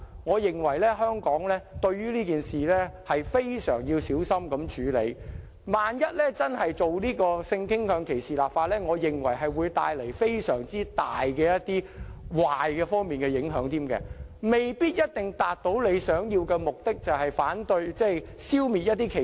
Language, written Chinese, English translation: Cantonese, 我認為香港對這件事要非常小心地處理，一旦真的就性傾向歧視立法，會帶來非常大的壞影響之餘，卻未必一定能達致預期目的，就是消滅歧視。, I think Hong Kong must handle this issue with great care . Once legislation is really enacted against discrimination on the ground of sexual discrimination an enormous adverse impact will be resulted but the desired result and that is elimination of discrimination may not necessarily be achieved